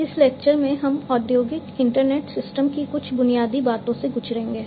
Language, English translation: Hindi, In this lecture, we will go through some of the Basics of Industrial Internet Systems